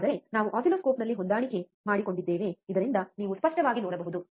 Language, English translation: Kannada, But we adjusted in the oscilloscope so that you can see clearly, right